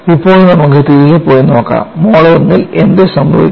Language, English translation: Malayalam, Now, let us go back and see, what happens in mode 1